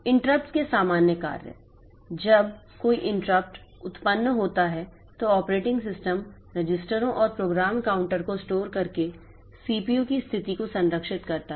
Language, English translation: Hindi, Common functions of interrupts, when an interrupt occurs the operating system preserves the state of the CPU by storing the registers and the program counter